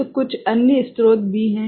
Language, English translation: Hindi, So, there are some other sources